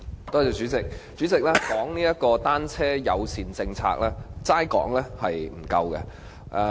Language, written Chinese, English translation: Cantonese, 代理主席，關於單車友善政策，只是談論並不足夠。, Deputy President it is not enough to merely talk about a bicycle - friendly policy